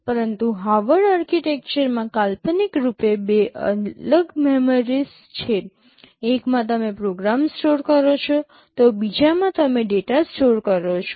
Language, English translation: Gujarati, But in Harvard architecture conceptually there are two separate memories; in one you store the program, in another you store the data